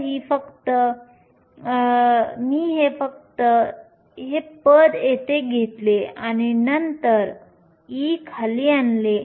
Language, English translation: Marathi, So, all I did was take this term here and then bring e down